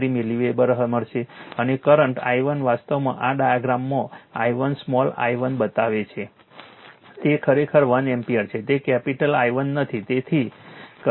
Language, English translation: Gujarati, 453 milliweber and current I 1 actually this one in the diagram it is showing i 1 small i 1, it is actually 1 ampere not capital I 1 so, correction right